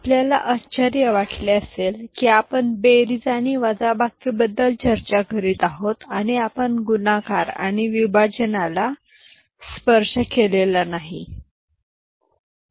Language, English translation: Marathi, You may have wondered, we were discussing addition and subtraction and we have not touched multiplication and division